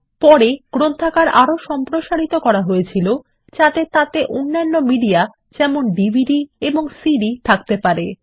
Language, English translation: Bengali, Later, the library expanded to have other media such as DVDs and CDs